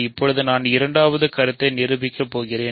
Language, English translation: Tamil, Now, I am going to prove the second proposition